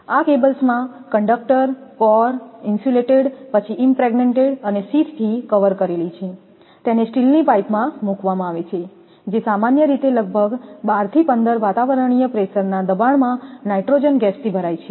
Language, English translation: Gujarati, In this cables, the conductor cores, after being insulated, impregnated and covered with sheath are placed in a steel pipe which is filled with gas, generally, nitrogen at a pressure of about 12 to 15 atmospheric pressure